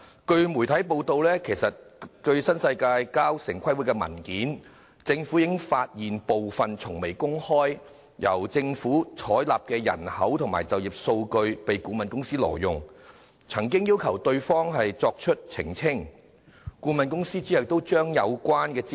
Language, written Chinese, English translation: Cantonese, 據媒體報道，政府從新世界提交城市規劃委員會的文件中，已發現部分從未公開、獲政府採納的人口和就業數據被顧問公司挪用，因而要求對方澄清，該顧問公司亦隨之抽起相關資料。, As reported by the media the Government noticed from the documents submitted by NWD to the Town Planning Board TPB the illegal use of certain data on population and employment adopted by the Government but has never been released by the consultancy . The Government thus sought clarification from the company and the consultancy withdrew the relevant information immediately